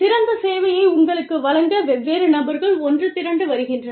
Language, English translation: Tamil, Different people are getting together, to give you the best possible service, the best possible output